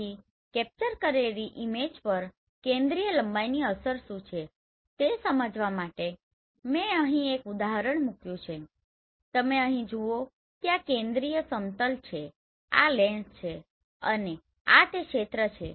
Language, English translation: Gujarati, So this is one example I have put to understand what is the effect of focal length on the acquired image